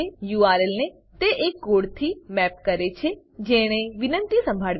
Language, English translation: Gujarati, It maps the URL to the code that has to handle the request